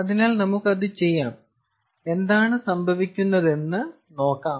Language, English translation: Malayalam, ah, so lets do that and see what happens